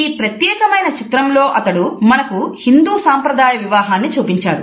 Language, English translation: Telugu, In this particular painting he has presented before us a scene at a Hindu wedding